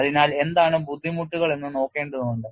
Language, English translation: Malayalam, So, we will have to look at what is the kind of difficulties